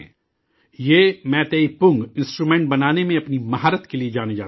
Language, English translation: Urdu, He is known for his mastery in making Meitei Pung Instrument